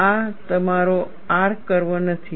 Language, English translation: Gujarati, This is not your R curve